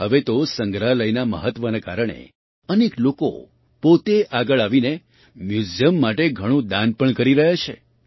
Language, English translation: Gujarati, Now, because of the importance of museums, many people themselves are coming forward and donating a lot to the museums